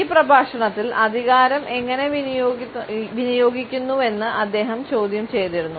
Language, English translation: Malayalam, In this lecture he had questioned how power is exercised